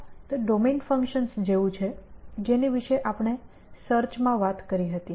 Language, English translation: Gujarati, So, this is like domain functions that we talked about in search